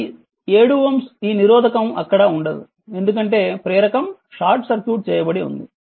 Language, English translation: Telugu, This 7 ohm will not be there because this inductor is short circuited